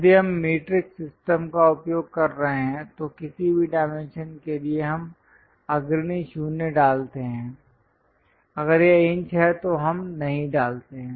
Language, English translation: Hindi, If we are using metric system ,for anything the dimension we put leading 0, if it is inches we do not put